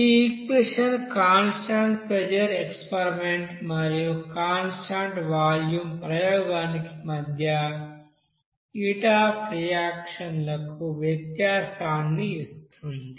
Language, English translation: Telugu, Now this equation will give you the difference between the heat of reaction for the constant pressure experiment and the constant volume experiment